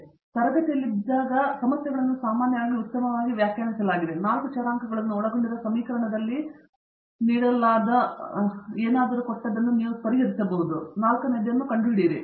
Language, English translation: Kannada, So, until as long as you are in a classroom environment the problems are usually well defined, you know like I say in my lectures given in equation involving 4 variables, given 3 find the fourth